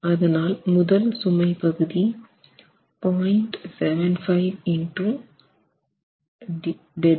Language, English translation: Tamil, So, the load case is 0